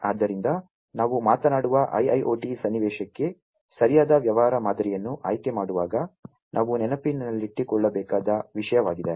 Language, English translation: Kannada, So, this is something that we have to keep in mind, while choosing the right business model for the IIoT scenario that we talk about